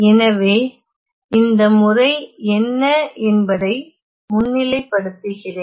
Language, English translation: Tamil, So, let me just highlight what is this method